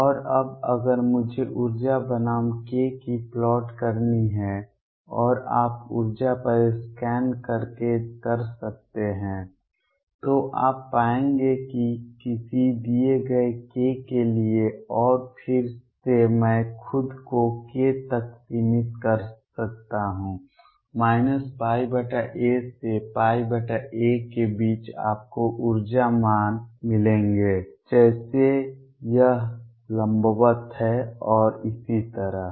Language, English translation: Hindi, And now if I have to plot energy versus k and that you can do by scanning over energy you will find that for a given k and again I can restrict myself to k between minus pi by a to pi by a you will get energy values like this, is perpendicular and so on